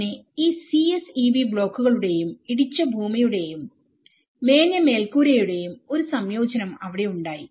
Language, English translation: Malayalam, So, there is a combination of both these CSEB blocks, rammed earth as well as thatched roofs, so there is different works